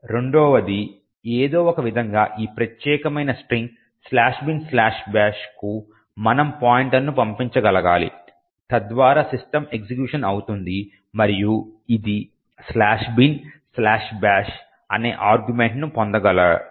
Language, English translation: Telugu, Secondly, somehow, we should be able to pass a pointer to this particular string slash bin slash bash so that system executes, and it is able to obtain an argument which is slash bin slash bash